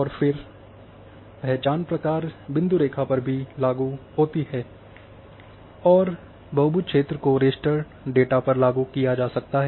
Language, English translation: Hindi, And then identity procedures applies to point line and polygon coverages also you can apply on the raster data